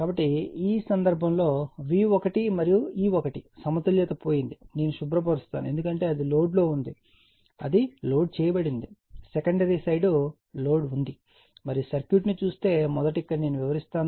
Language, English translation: Telugu, So, in this case let me clear it in this case that V 1 and E 1 balance is lost because it is on it is on your what you call, it is on loaded, secondary side is loaded the and and V 1 if you look into the circuitjust first let me explain here